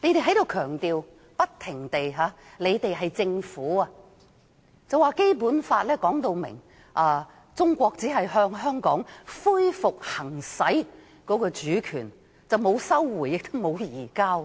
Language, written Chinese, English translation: Cantonese, 政府官員不停強調，指《基本法》說明中國只是向香港恢復行使主權，沒有收回，也沒有移交。, Government officials keep stressing that according to the Basic Law China only resumed sovereignty over Hong Kong and there was no such thing as recovery or transfer of sovereignty